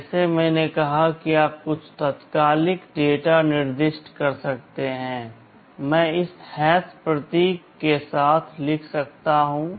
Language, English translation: Hindi, Like as I said you can specify some immediate data, I can write like this with this hash symbol